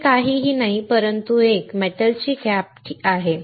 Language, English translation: Marathi, This is nothing, but a metal cap all right